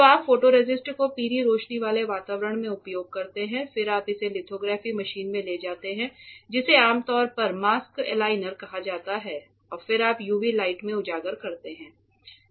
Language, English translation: Hindi, So, you coat the photoresist use the photoresist everything in a yellow light environment, then you take it into the lithography machine which is usually called a mask aligner and then you expose it to UV light ok